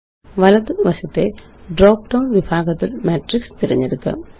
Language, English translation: Malayalam, In the category drop down on the right, let us choose Matrices